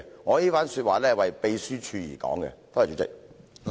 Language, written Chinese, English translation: Cantonese, 我這番話是為秘書處而說的，多謝主席。, I am saying this for the Secretariat . Thank you President